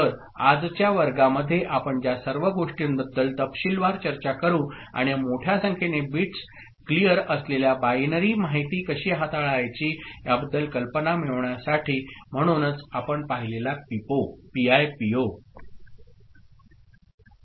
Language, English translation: Marathi, So, all the things we shall discuss in detail in today’s class and to get an idea about how to handle binary information which is of, consists of larger number of bits clear ok; so, PIPO we have seen